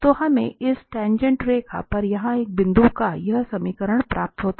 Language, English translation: Hindi, So, we get this equation of a point here, on this tangent line